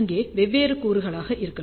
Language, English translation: Tamil, So, there may be different elements